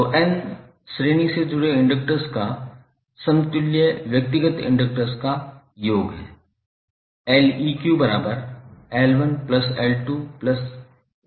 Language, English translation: Hindi, So, equivalent inductance of n series connected inductors is some of the individual inductances